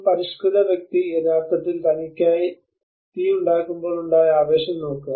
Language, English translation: Malayalam, A civilized person look at the excitement which he had of when he actually makes fire for himself